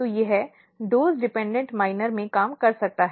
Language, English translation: Hindi, So, it might be working in the dose dependent minor